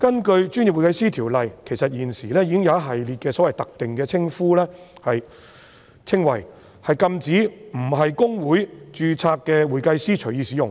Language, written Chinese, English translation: Cantonese, 其實，《條例》已訂明一系列特定的稱謂，禁止非公會註冊的會計師隨意使用。, In fact the Ordinance has provided a list of specified descriptions which anyone not being a certified public accountant registered with HKICPA is prohibited from using